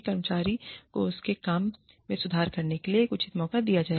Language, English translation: Hindi, The employee, will be given a chance, a fair chance, to improve her or his work